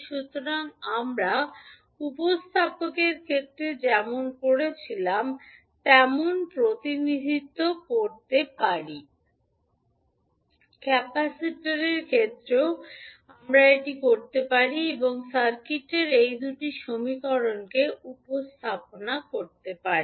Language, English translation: Bengali, So, we can represent as we did in case of inductor, we can do in case of capacitor also and represent these two equations in the circuit